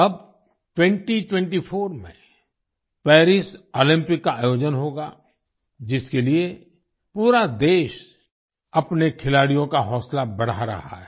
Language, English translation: Hindi, Now Paris Olympics will be held in 2024, for which the whole country is encouraging her players